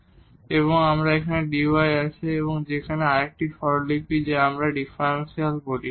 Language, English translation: Bengali, Thus, what we have that dy that is another notation for what we call differential